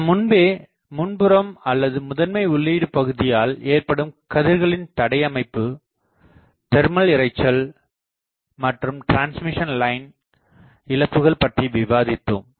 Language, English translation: Tamil, So, we have already discussed about blocking, blocking of rays by the feed by the front fed feed or prime feed, then we have discussed the thermal noise problem, then we have discussed about the transmission line loss